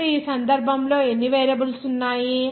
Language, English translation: Telugu, Now, in this case, how many variables are there